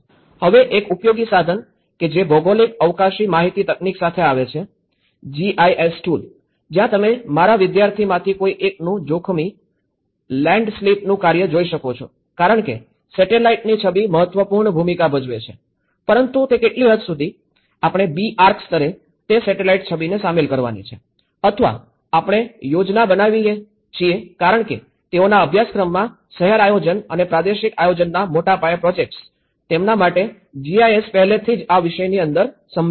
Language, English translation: Gujarati, Now, the one of the useful tools which have come up with the geographic spatial information technology; the GIS tools where you can see from one of my students work of the hazard landslip because the satellite imagery plays an important role but now to what extent, we have to include that satellite imagery at B Arch level or we plan because they deal with much more of a larger scale projects of city planning or the regional planning, for them GIS is already within the subject, in the curriculum